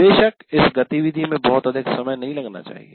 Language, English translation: Hindi, Of course, this activity should not take too long